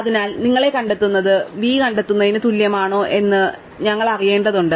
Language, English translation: Malayalam, So, we just need to know whether find of u is equal to find of v, right